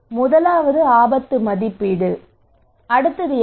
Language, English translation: Tamil, First one was the risk appraisal, what is the next one